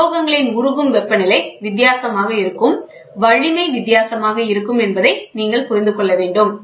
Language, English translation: Tamil, So, you should understand the melting temperature will be different, the strength will be different